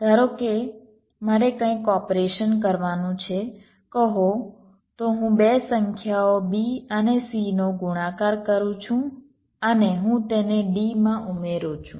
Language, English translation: Gujarati, suppose i have a, some operation to do, say so, i am multiplying two numbers, b and c, and i added to d